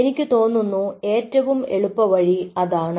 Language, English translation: Malayalam, there is a easier way to do that